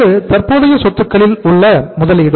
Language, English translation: Tamil, Investment in current assets